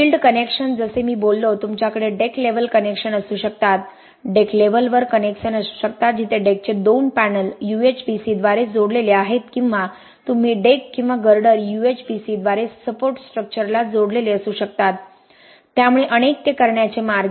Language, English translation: Marathi, Ok field connections like I talked about, you can have deck level connections, connections at the deck level where the bridge deck two panels of the deck are connected by UHPC like you see in these figures or you can have the deck or the Girder connected to the support structure also through UHPC so multiple ways of doing it